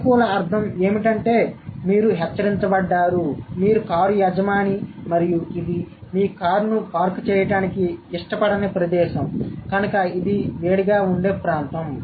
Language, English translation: Telugu, The positive meaning is that you have been warned, you are the car owner and you have been warned in advance that this is a place may not like to park your car because this is a heated area